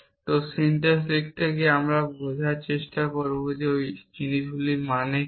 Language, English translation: Bengali, So, as we write the syntax we will try to understand what is the meaning of those things